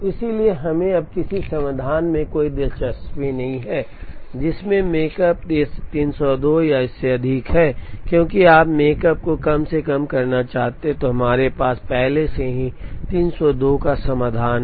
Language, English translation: Hindi, So, we are now not interested in any solution, which has makespan 302 or more, because you want to minimize the makespan and we already have a solution with 302